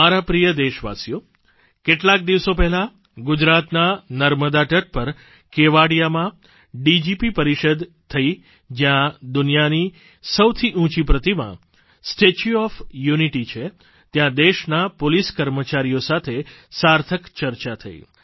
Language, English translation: Gujarati, My dear countrymen, a few days ago, a DGP conference was held at Kevdia on the banks of Narbada in Gujarat, where the world's highest statue 'Statue of Unity' is situated, there I had a meaningful discussion with the top policemen of the country